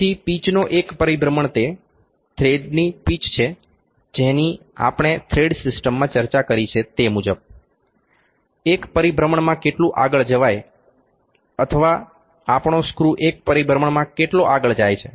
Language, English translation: Gujarati, So, pitch is in one rotation it is the pitch of thread like we have discussed the thread system will already get the feed of that, one rotation how much forward or how much had our screw goes in one rotation